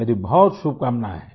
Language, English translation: Hindi, I wish you all the best